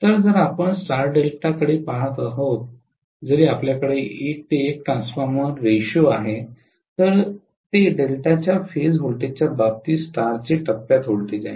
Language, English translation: Marathi, So if we are looking at star Delta, even if we are having 1 is to 1 transformation ratio that is phase voltage of star with respect to phase voltage of delta